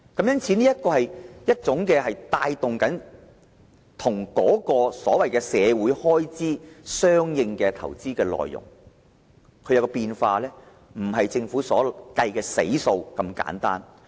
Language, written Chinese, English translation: Cantonese, 因此，這是一種帶動社會開支的相應投資，因應政府政策而有所變化，不如政府計算的"死數"般單一。, Hence this kind of investment will drive social expenditure correspondingly where changes will take place in response to the policies of the Government . This is not kind of single unchangeable calculation as the Government presumes